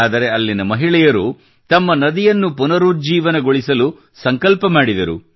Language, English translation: Kannada, But, the womenfolk there took up the cudgels to rejuvenate their river